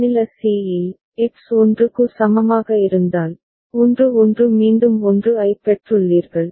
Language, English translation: Tamil, At state c, if X is equal to 1 so, 1 1 then again you have received a 1